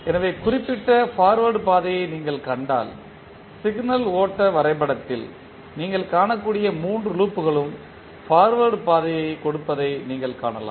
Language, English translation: Tamil, So, if you see the particular forward path all three loops which you can see in the signal flow graph are touching the forward path